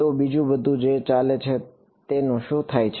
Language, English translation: Gujarati, So, everything else that is going what happens to it